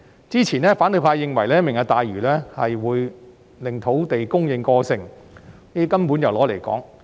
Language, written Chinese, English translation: Cantonese, 之前，反對派認為"明日大嶼"會令土地供應過剩，這根本是"攞嚟講"。, Previously the opposition camp argued that the Lantau Tomorrow Vision would result in an oversupply of land . They were just speaking gibberish